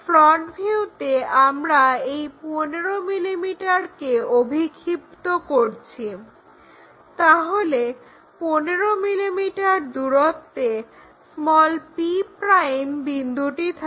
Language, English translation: Bengali, In the front view we are projecting that 15 mm, so that p' point will be at 15 mm